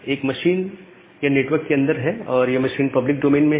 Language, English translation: Hindi, One machine is there inside and this is the machine at the public domain